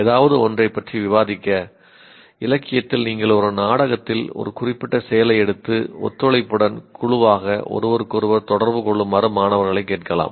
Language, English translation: Tamil, Either to discuss something, a particular, let us say in literature you can take one particular act in a drama and ask the students to interact with each other as a cooperative group or solve a slightly more complex problem as a group